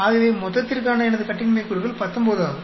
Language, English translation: Tamil, So my degrees of freedom for total is 19